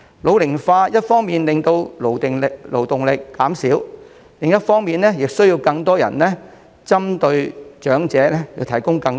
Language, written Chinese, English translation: Cantonese, 老齡化一方面令勞動力減少，另一方面亦令針對長者的服務需求增加。, Ageing population will result in a decrease in labour force on the one hand and on the other hand increase the demand for services that are targeted at elderly people